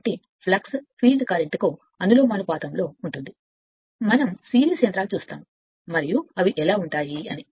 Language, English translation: Telugu, So, flux is proportional to the field current right we will see the series motors and how is it